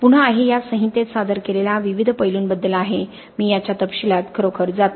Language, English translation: Marathi, Again this is regarding various different aspects which are presented in this code I am not really going into the details of this